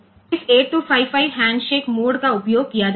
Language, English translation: Hindi, So, this 8255 handshake mode can be utilized for that